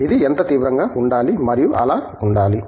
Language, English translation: Telugu, How intense it should be and so on